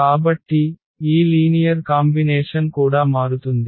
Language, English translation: Telugu, So, this linear combination will also change